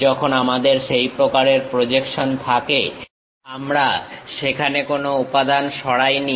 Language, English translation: Bengali, When we have that kind of projection, we did not remove any material there